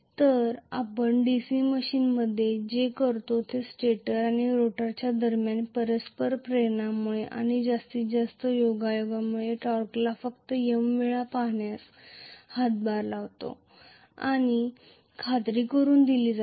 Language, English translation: Marathi, So, what we do in a DC machine is to make sure that the maximum contribution comes from the mutual inductance between the stator and rotor and that essentially contribute to you know the torque being simply M times